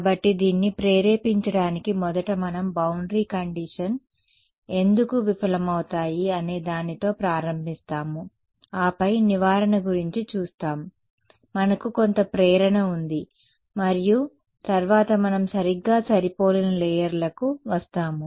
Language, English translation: Telugu, So, to motivate this first we will start with a why do absorbing boundary conditions fail and then the remedy ok, we have some motivation and then we come to perfectly matched layers